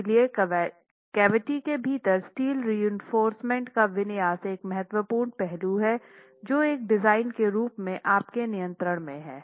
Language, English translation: Hindi, So, configuration of the steel reinforcement within the cavity is an important aspect that as a designer is under your control